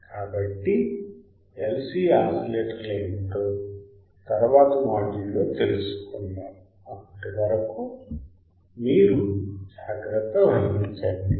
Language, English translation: Telugu, So, let us learn in the next module what are the LC oscillators till then you take care bye